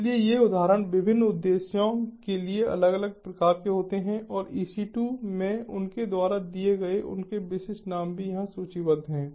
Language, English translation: Hindi, so these instances are of different types, for different serving different purposes, and their specific names that are given by them in ec two are also listed over here